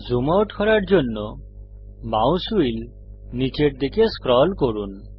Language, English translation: Bengali, Scroll the mouse wheel downwards to zoom out